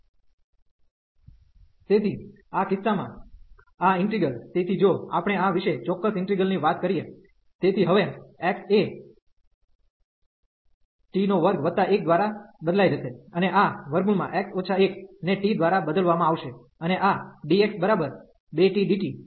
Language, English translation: Gujarati, So, in this case this integral so if we talk about this in definite integral, so 1 over the x is replaced by 1 plus t square now, and this is square root x minus 1 is replaced by t, and this dx by 2 t into dt